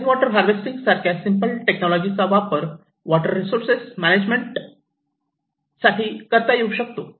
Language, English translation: Marathi, Or maybe just simple technologies like rainwater harvesting for better water resource management